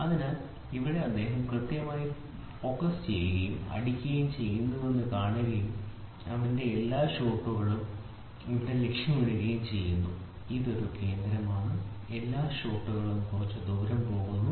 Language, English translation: Malayalam, So, here if you see he is exactly focusing and hitting at this portion and all his shots go towards here, this is a center, all the shots go just little away